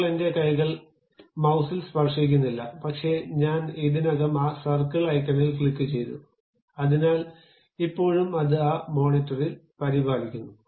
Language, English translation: Malayalam, Right now my hands are not touching mouse, but I have already clicked that circle icon, so still it is maintaining on that monitor